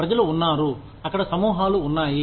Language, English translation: Telugu, There are people, there are groups, out there